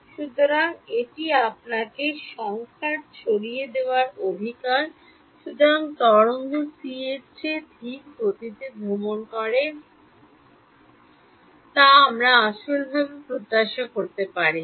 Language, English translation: Bengali, So, this is your numerical dispersion right; so, so the wave travels slower than c which we do not physically expect